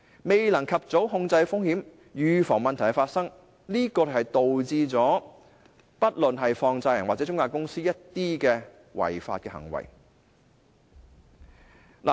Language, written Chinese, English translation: Cantonese, 未能及早控制風險，預防問題發生，就導致不論是放債人或中介公司作出的一些違法行為。, The failure to prevent the occurrence of problems by risk control at an early stage has however resulted in offences committed by money lenders or intermediaries